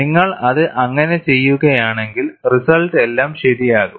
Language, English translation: Malayalam, If you do it that way, result would be all right